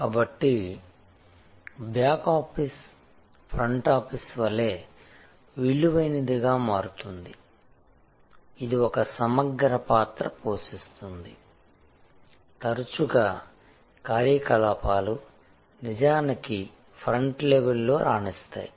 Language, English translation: Telugu, So, back office becomes as valued as the front office, it plays an integral role often operations actually drive the excellence at the front level